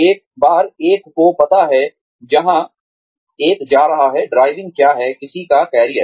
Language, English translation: Hindi, Once, one knows, where one is going, what is driving, one's career